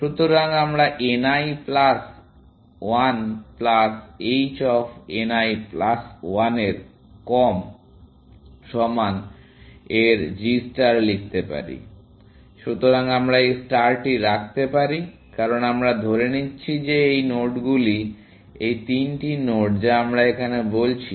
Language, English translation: Bengali, So, we can write g star of n l plus one plus h of n l plus one less than equal to; so, we can put this star, because we are assuming that these nodes, these three nodes that we are talking about